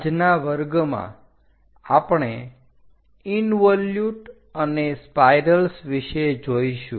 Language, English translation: Gujarati, In today's class, we are going to look at involute and spirals